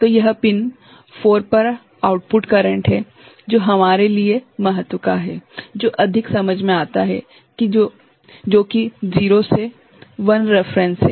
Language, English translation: Hindi, So, it is output current at pin 4, which is of importance to us which makes more sense, which is 0 to I reference